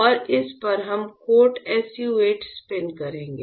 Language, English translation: Hindi, And on this we will we will spin coat SU 8; we will spin coat SU 8